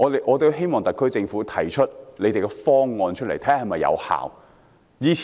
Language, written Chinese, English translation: Cantonese, 我希望特區政府提出方案，看看是否有效。, It is my hope that the SAR Government can come up with a proposal and study its effectiveness